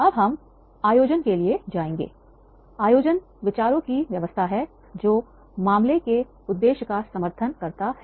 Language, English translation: Hindi, Organizing is the arrangement of ideas that support the purpose of the case